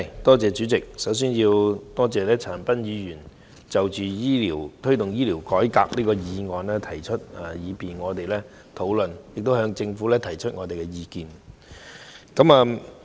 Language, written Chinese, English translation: Cantonese, 代理主席，首先我感謝陳恒鑌議員提出"推動醫療改革"這項議案，讓我們可以就此進行討論及向政府提出意見。, Deputy President first of all I thank Mr CHAN Han - pan for moving this motion on Promoting healthcare reform so that we can have a discussion on this subject and air our views to the Government